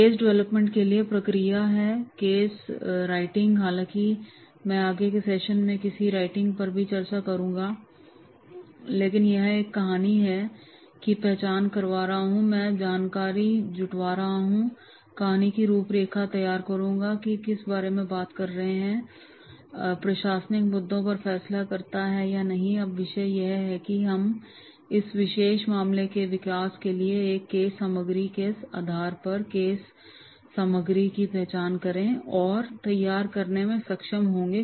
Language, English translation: Hindi, Process for the case development is there, case writing, however I will be discussing this case writing in the further session also, but here identifying a story, gather the information, prepare a story outline, that is what it talks about, decide and administrative issues, so what are the topics are there that we will be able to identify and prepare case materials for this particular case development and on basis of this case material which has been developed, the class, this will be taken into the class, discussed and finally the common solution will be find out